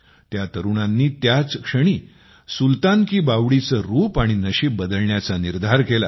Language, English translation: Marathi, At that very moment these youths resolved to change the picture and destiny of Sultan Ki Baoli